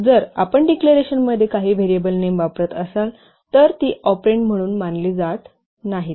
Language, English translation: Marathi, If you are using some variable names in the declarations they are not considered as operands